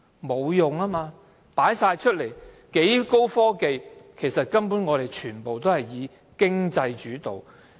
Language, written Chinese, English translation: Cantonese, 沒有用，很高的科技全部展覽出來，但其實全部以經濟主導。, No . High technologies are all exhibited but it is all finance - led